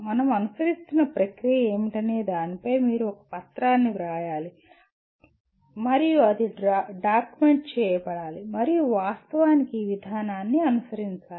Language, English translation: Telugu, You should write a document on what is the process that we are following and it should be documented and actually follow the process